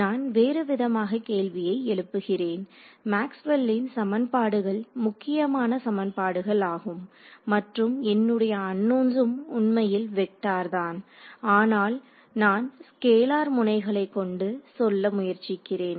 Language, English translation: Tamil, So, let me sort of posses question in another way, Maxwell’s equations are essentially vector equations right and so, my unknowns are actually vectors, but I am trying to express them in terms of scalar nodes